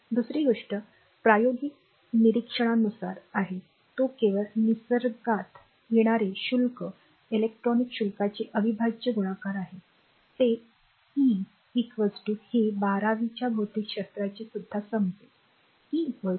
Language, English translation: Marathi, Second thing is according to experimental observation, the only charges that occur in nature are integral multiplies of the electronic charge that e is equal to this will know from your class 12 physics also, e is equal to minus 1